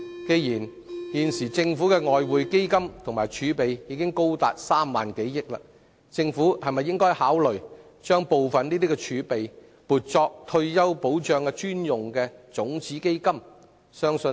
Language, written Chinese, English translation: Cantonese, 鑒於現時政府的外匯基金及儲備高達3萬億元，政府會否考慮把部分儲備撥作退休保障專用的種子基金？, Given that the Governments Exchange Fund and reserve have now reached 3,000 billion will the Government consider ear - marking part of the reserve as a seed fund designated for retirement protection?